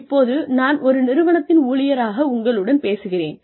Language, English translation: Tamil, Now, I am talking to you, as an employee of an organization